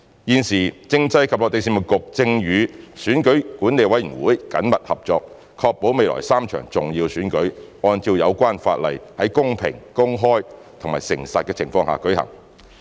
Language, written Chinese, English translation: Cantonese, 現時，政制及內地事務局正與選舉管理委員會緊密合作，確保未來3場重要選舉按照有關法例，在公平、公開和誠實的情況下舉行。, Currently the Constitutional and Mainland Affairs Bureau CMAB is working closely with the Electoral Affairs Commission EAC to ensure the three upcoming important elections are conducted in accordance with relevant legislation and in a fair open and honest manner